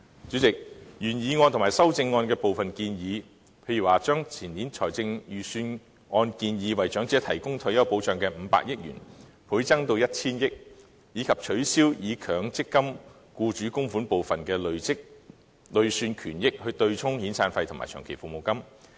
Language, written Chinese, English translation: Cantonese, 主席，原議案和修正案提出一些建議，例如將前年財政預算案中為退休保障安排預留的500億元，倍增至 1,000 億元；以及取消以強積金僱主供款部分的累算權益對沖遣散費和長期服務金。, President the original motion and its amendments put forth some proposals such as doubling the 50 billion provision for retirement protection mentioned in the Budget two years ago to 100 billion and abolishing the arrangement of using the accrued benefits derived from employers MPF contributions to offset severance payments and long service payments